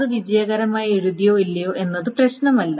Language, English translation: Malayalam, So it does not care whether it is written successfully or not